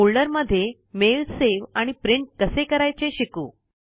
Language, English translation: Marathi, Let us now learn how to save a mail to a folder and then print it